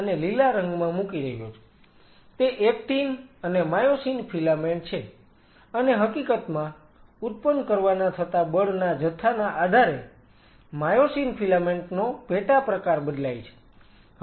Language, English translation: Gujarati, Those are actin and myosin filament, and as a matter of fact depending on the quantity of four generation, the myosin filament sub type changes